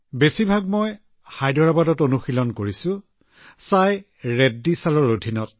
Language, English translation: Assamese, Mostly I have practiced in Hyderabad, Under Sai Reddy sir